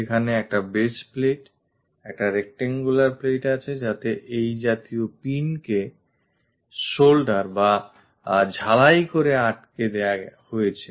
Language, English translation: Bengali, There is a base plate a rectangular plate on which this kind of pin is soldered or attached this one